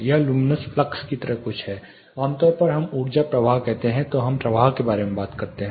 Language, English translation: Hindi, It is something like luminous flux typically when we say energy flow we talk about flux